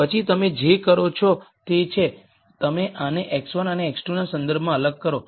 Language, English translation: Gujarati, Then what you do is, you differentiate this with respect to x 1 and x 2